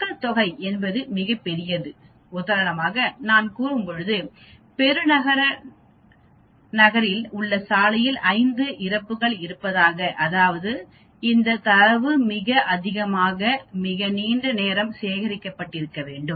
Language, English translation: Tamil, Population is something which is very very big for example, when I say there are 5 fatalities on the road in metropolitan city that means this data must have been collected over a very very long time